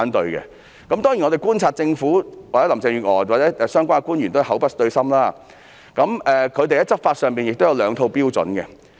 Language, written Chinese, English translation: Cantonese, 當然，據我們觀察所得，林鄭月娥及相關官員均是口不對心，在執法上亦有兩套標準。, Of course according to our observation Carrie LAM and the officials concerned have a hidden agenda while double standards are adopted for law enforcement